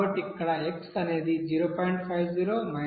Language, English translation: Telugu, So x3 is equal to 0